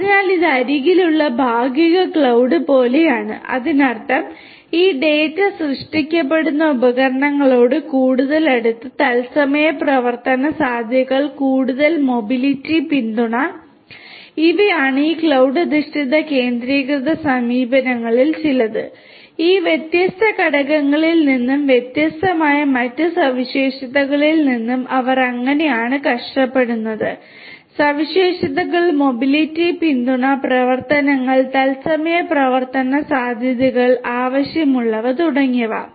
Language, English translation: Malayalam, So, it is sort of like cloud, partial cloud at the edge; that means, closer to closer to the devices from where this data are generated and real time operations feasibility greater mobility support, these are some of these cloud based all centralized approaches and how they suffer from these different you know these different elements and the different other characteristics, the desirable characteristics mobility support operations real time operations feasibility those are required and so on